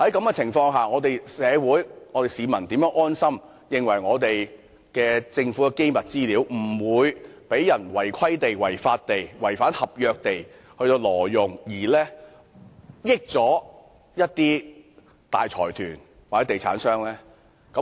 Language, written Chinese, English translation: Cantonese, 在這情況下，社會、市民如何可以安心，相信沒有人會違規、違法、違反合約，挪用政府的機密資料，令大財團或地產商得益呢？, That being the case how can the community and members of the public rest assured and believe that no one would breach the rules the law and the contracts and illegally use the Governments confidential information thereby benefiting the large consortiums or real estate developers?